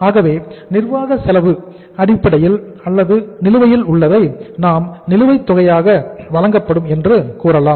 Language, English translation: Tamil, So it means administrative expenses you can say outstanding, administrative expenses they will be paid in arrears